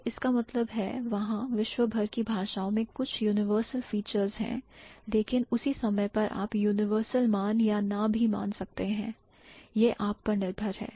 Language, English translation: Hindi, So, that means there are certain universal features in the languages of the world, but at the same time you may or may not consider it as a universal that's up to you